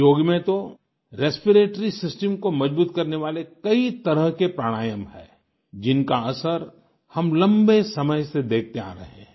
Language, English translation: Hindi, In yoga, there are many types of Pranayama that strengthen the respiratory system; the beneficial effects of which we have been witnessing for long